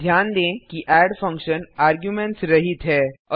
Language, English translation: Hindi, Note that add function is without any arguments